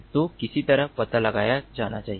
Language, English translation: Hindi, so there has to be detected somehow